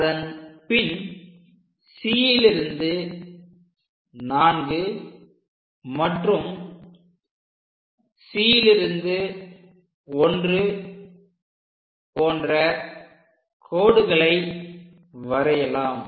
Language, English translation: Tamil, Now, what we have to do is from C to 4, C to 1, and so on